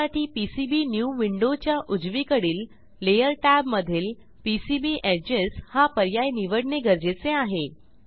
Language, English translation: Marathi, For this we need to select PCB Edges option from Layer tab on the right side of PCBnew window